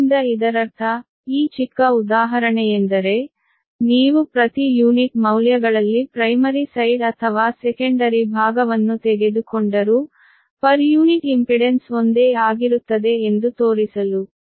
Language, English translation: Kannada, right, so that means this small example you to you, just to show that, whether you take, refer to primary side or secondary side, on per unit values, this, this your, what you call the impedance per unit impedance